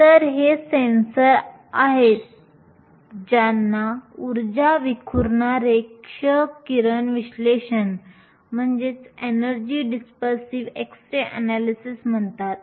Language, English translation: Marathi, So, these are sensors which are called energy dispersive x ray analysis